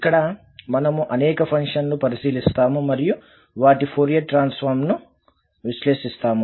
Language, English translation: Telugu, So here, we will consider several functions and evaluate their Fourier Transform